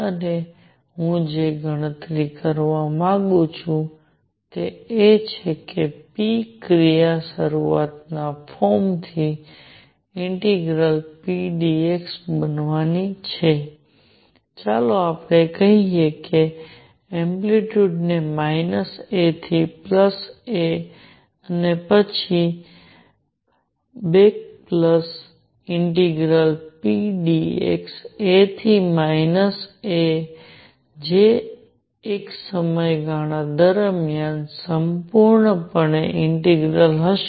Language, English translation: Gujarati, And what I want to calculate is p action is going to be integral p dx from starts form let us say the minus the amplitude to plus the amplitude minus A to plus A and then back plus integral p dx A to minus A that would be complete integral over one period